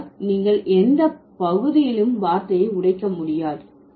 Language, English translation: Tamil, So, you cannot break the word into any part